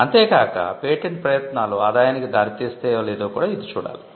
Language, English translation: Telugu, It should also be factored whether the patenting efforts could actually result in revenue